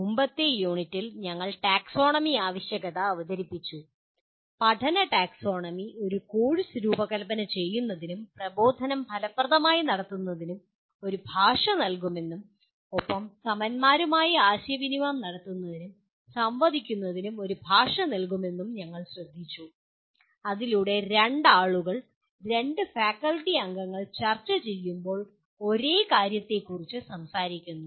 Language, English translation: Malayalam, We, in the earlier unit we introduced the need for taxonomy and we noted that taxonomy of learning will provide a language for designing a course and conducting of instruction effectively and also to communicate and interact with peers so that two people, two faculty members when they are discussing they are talking about the same thing